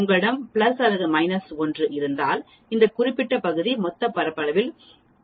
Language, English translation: Tamil, If you have plus or minus 1 sigma this particular area is 68